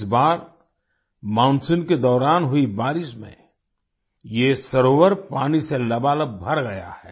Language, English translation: Hindi, This time due to the rains during the monsoon, this lake has been filled to the brim with water